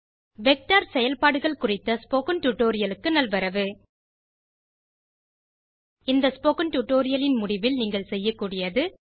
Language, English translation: Tamil, Welcome to the spoken tutorial on Vector Operations At the end of this spoken tutorial you will be able to, Define a vector